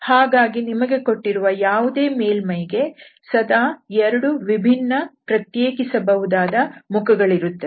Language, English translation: Kannada, So, always you will have 2 different, 2 distinguishable faces of surfaces of a given surface